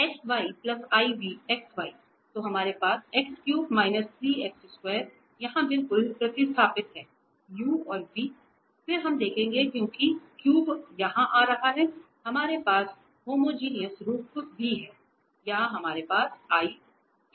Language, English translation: Hindi, So, we have here x cube minus 3 x square exactly substituted here the u and v and then we will observe because the cube is coming here also we have the homogeneous from the 3, here we have 3 x square y